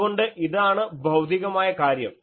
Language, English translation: Malayalam, Now, so this is a physical thing